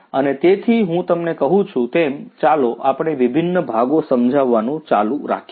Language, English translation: Gujarati, And so as I was telling you let us continue you know explaining the different parts